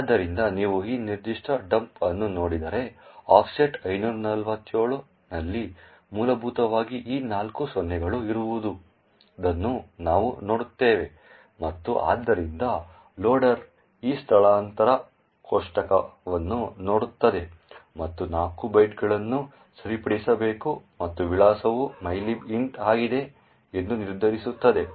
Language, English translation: Kannada, So, if you look at this particular dump we see that at an offset 547 is essentially these four zeros and therefore the loader will look into this relocation table and determine that 4 bytes have to be fixed and the address is that of mylib int